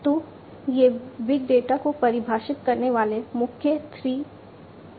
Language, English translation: Hindi, So, these are the main 3 V’s of defining big data